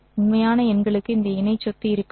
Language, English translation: Tamil, And real numbers will don't have this conjugate property